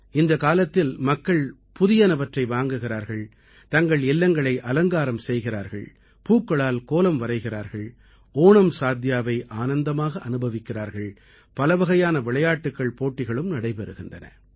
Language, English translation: Tamil, During this period, people buy something new, decorate their homes, prepare Pookalam and enjoy OnamSaadiya… variety of games and competitions are also held